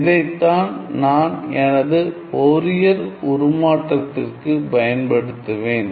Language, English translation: Tamil, So, let me just start with the basic definition of Fourier transform